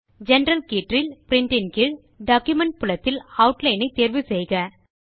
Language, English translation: Tamil, In the General tab, under Print, in the Document field, choose the Outline option